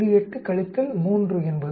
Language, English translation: Tamil, 8 minus 3 is 3